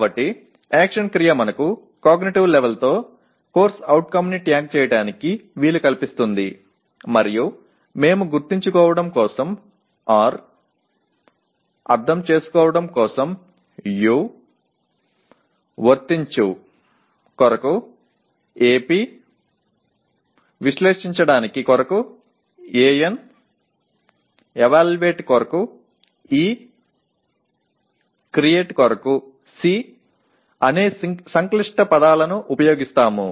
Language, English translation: Telugu, So the action verb enables us to tag a CO with the cognitive level and we use the acronyms R for Remember, U for Understand, Ap for Apply, An for Analyze, E for Evaluate and C for Create